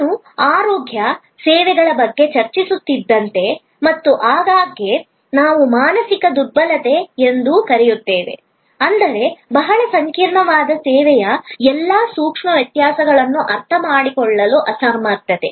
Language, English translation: Kannada, Like I were discussing about health care services and often what we call mental impalpability; that means, the inability to understand all the nuances of a very complex service